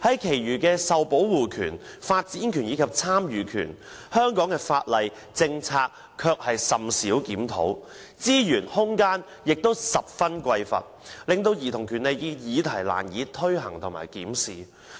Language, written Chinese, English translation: Cantonese, 然而，對於受保護權、發展權及參與權，香港的法例和政策卻甚少檢討，資源和空間均十分匱乏，令兒童權利議題難以推行和檢視。, However as for the rights to protection development and participation there has been few review of relevant laws and policies . With limited resource and room it is difficult to take forward the implementation and review of childrens rights